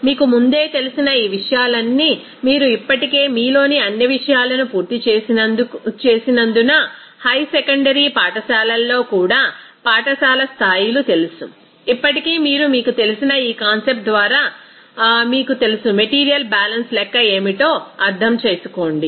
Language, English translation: Telugu, So, all these things you know earlier also because you have already completed all those things in you know schools levels also in high secondary schools, they are still you just go through this you know concept for your you know, understanding for what the calculation in the material balance